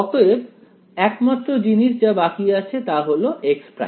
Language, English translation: Bengali, So, the only thing remaining is x prime